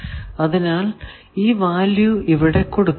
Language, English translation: Malayalam, So, what is a value that